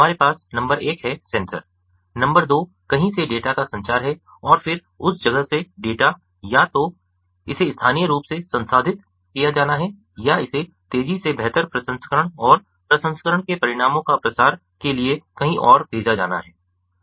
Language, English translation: Hindi, number two is the communication of the sense data to somewhere and then from that place the data either has to be, you know, it has to be processed locally, or it has to be sent somewhere else for better processing, for faster processing and dissemination of the results of the processing